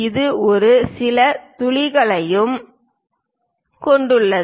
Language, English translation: Tamil, It has few holes also